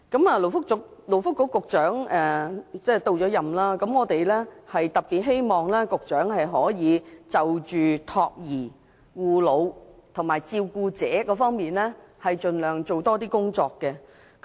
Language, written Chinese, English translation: Cantonese, 勞工及福利局局長已上任，我們特別希望局長可就託兒、護老和照顧者等方面多做工作。, We hope the Secretary for Labour and Welfare can make greater efforts on child care elderly care and carers